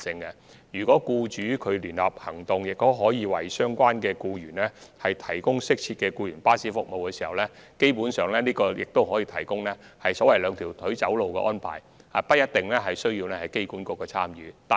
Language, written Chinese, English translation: Cantonese, 如果僱主的聯合安排可為相關僱員提供適切的僱員服務，這基本上可以達致所謂"兩條腿走路"的安排，無須機管局參與。, If appropriate employees services can be provided for the employees concerned under employers joint arrangements and thus basically achieve the purpose of providing a so - called two - pronged arrangement then AAHKs participation will not be required